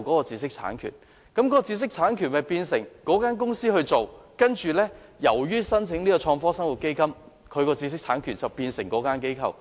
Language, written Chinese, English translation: Cantonese, 知識產權原本由該公司所擁有，卻因為申請創科生活基金，而拱手讓予相關申請機構。, Although the intellectual property right was originally vested with the company it must surrender the right to the applicant for the sake of the application for FBL